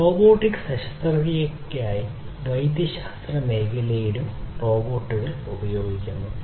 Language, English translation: Malayalam, Robots are also used in medical domain for robotic surgery